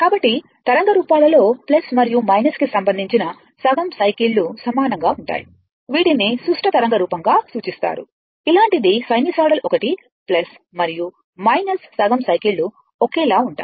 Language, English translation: Telugu, So, the wave forms the wave forms in which plus and minus half cycles are identical are referred to as the symmetrical waveform like this is sinusoidal one is plus and minus right your half cycles are identical